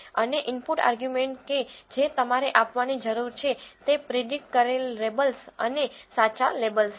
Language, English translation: Gujarati, And the input arguments that you need to give are the predicted labels and the true labels